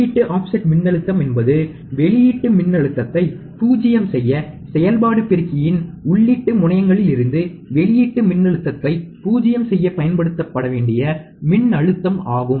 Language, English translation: Tamil, The input offset voltage, is the voltage that must be applied to the input terminals of the opamp to null the output voltage to make the output voltage 0